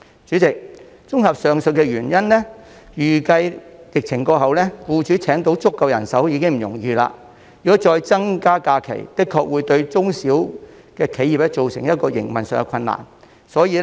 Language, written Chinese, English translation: Cantonese, 主席，綜合上述原因，預計疫情過後，僱主將難以聘請足夠人手，如果再增加假期，確實會對中小企造成營運上的困難。, President for the above reasons it is expected that employers will have difficulty in hiring enough staff after the epidemic . An increase in the number of holidays will indeed cause operational difficulties to SMEs